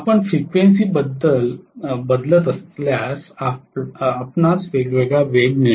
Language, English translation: Marathi, If you are changing the frequency you will get a different speed